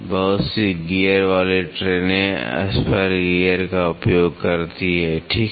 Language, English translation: Hindi, Lot of gear trains use spur gears, right